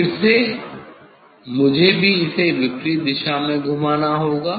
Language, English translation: Hindi, again, this also I have to rotate it opposite direction; I have to rotate in opposite direction